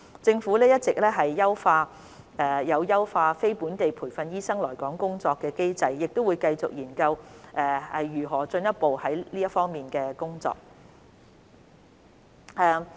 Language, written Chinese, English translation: Cantonese, 政府一直有優化非本地培訓醫生來港工作的機制，亦會繼續研究如何進一步推行這方面的工作。, The Government has all long been enhancing the mechanism for non - locally trained doctors to come to work in Hong Kong and we will continue to explore how to further take forward the work in this regard